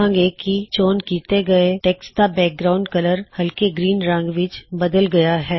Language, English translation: Punjabi, We see that the background color of the selected text changes to light green